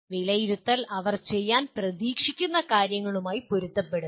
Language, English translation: Malayalam, And assessment is in alignment with what they are expected to do